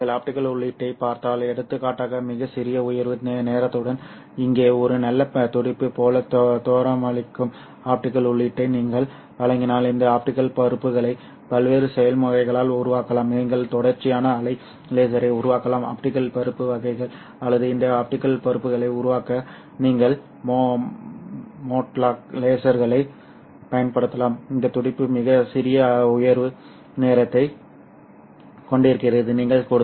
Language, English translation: Tamil, If you look at the optical input, so for example if you supply an optical input that looks like a nice pulse here with very small rise time, you can generate these optical pulses by various processes, you can actually modulate a continuous wave laser to generate the optical pulses or you can use mode locked lasers to generate these optical pulses